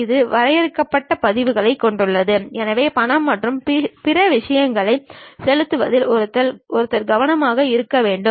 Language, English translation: Tamil, It has limited versions, so one has to be careful with that in terms of paying money and other things